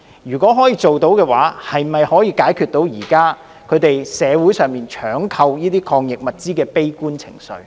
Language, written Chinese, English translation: Cantonese, 如果可以辦到，能否紓解現時社會上搶購這類抗疫物資的悲觀情緒？, If the Government has done so will the pessimistic sentiment of scrambling for anti - epidemic supplies in the community be allayed?